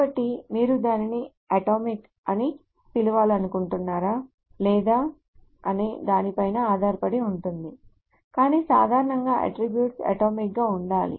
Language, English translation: Telugu, So it depends on whether you want to call it atomic or not, but generally attributes are supposed to be atomic